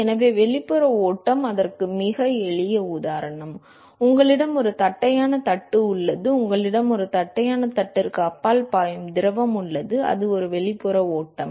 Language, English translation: Tamil, So, external flow very simple example of that is you have a flat plate, in you have fluid which is flowing past this flat plate, that is an external flow